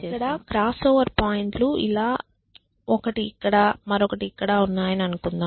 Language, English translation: Telugu, So, let us say that our crossover points are like this one is here and the other one is here